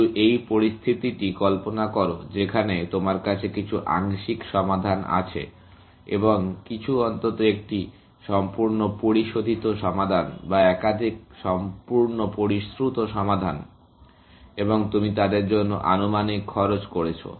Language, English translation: Bengali, partial solutions and some, at least one fully refined solution, or more than one fully refined solution, and you have estimated cost for them